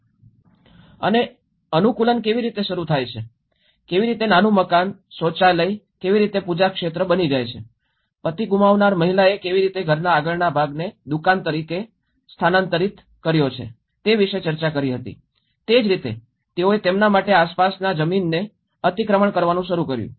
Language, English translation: Gujarati, We did discuss about how adaptation start, how a small house, how a toilet becomes a worship area, how a woman who lost her husband have shifted her house front as a shop so, in that way, they started encroaching the neighbourhood lands for their public places